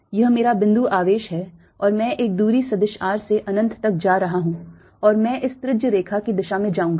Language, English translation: Hindi, so now let me make a picture this is my point charge and i am going from a distance vector r all the way upto infinity and i'll go along this radial line